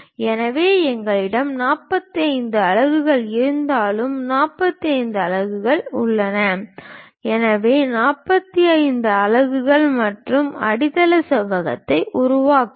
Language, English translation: Tamil, So, whatever 45 units we have here here 45 units there, so 45 units 45 units and construct the basement rectangle